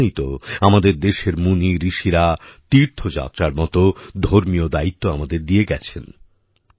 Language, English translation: Bengali, That is why our sages and saints had entrusted us with spiritual responsibilities like pilgrimage